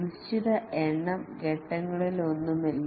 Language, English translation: Malayalam, There is no fixed number of phases